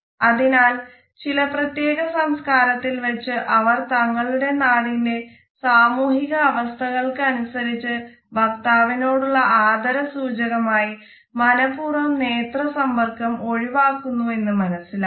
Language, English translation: Malayalam, So, in certain cultures we find that the eye contact is deliberately avoided because we want to pay respect to the speaker because of the social situation or because of the convention of the land